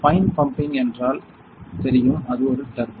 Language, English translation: Tamil, So, fine pumping means it is a turbo know